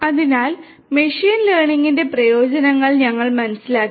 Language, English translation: Malayalam, So, we have understood the benefits of machine learning